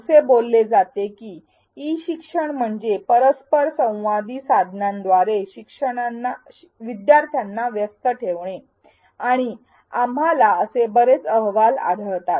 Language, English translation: Marathi, E learning is said to engage learners via interactive tools and we hear many other such reported benefits